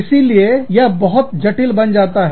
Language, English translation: Hindi, So, that becomes very complex